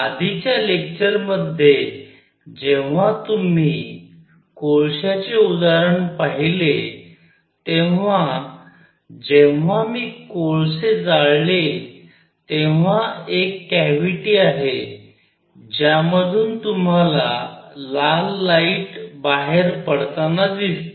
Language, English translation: Marathi, As you saw the in example of coals in the previous our lecture when I burn these coals there is a cavity from which you can see red light coming out